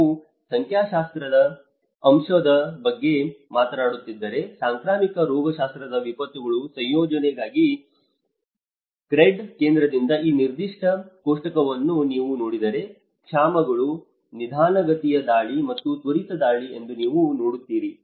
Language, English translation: Kannada, If you are talking about the statistical aspect, if you look at this particular table from the CRED Center for research in Epidemiology Disasters, you will see that the famines, these are the slow onset and the rapid onset